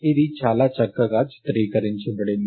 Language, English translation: Telugu, This is very nicely pictorially represented